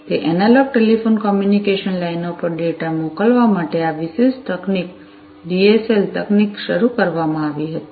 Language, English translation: Gujarati, In order to send data over those analog telephone communication lines, this particular technology, the DSL technology was started